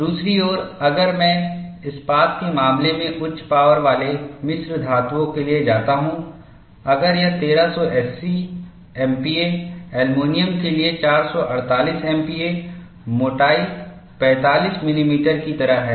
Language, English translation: Hindi, On the other hand, if I go for high strength alloys, in the case of steel, if it is 1380 MPa, 448 MPa for aluminum, the thickness is like 45 millimeter; so almost two thirds of it